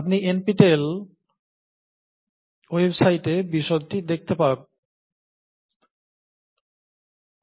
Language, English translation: Bengali, You can look at the details in the NPTEL website